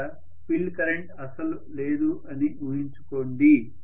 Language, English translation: Telugu, Imagine that there is no field current at all